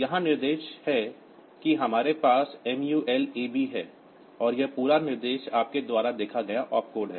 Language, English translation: Hindi, The instruction here that we have is MUL AB, and this whole instruction is the opcode you see